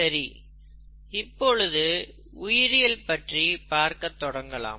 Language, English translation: Tamil, Now, let us start looking at “Biology”, okay